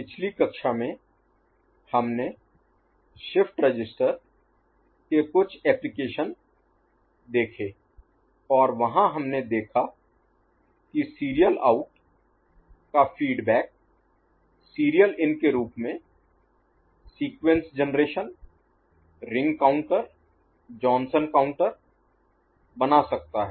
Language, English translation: Hindi, In the last class we saw certain application of shift register and there we saw that a feedback of the serial out as serial in can give rise to Sequence generation Ring counter, Johnson counter